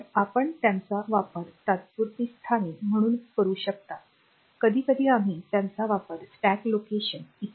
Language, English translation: Marathi, So, you can use them as temporary locations sometimes we use them as stack location etcetera